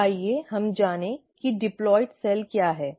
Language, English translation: Hindi, So let us go back to what is a diploid cell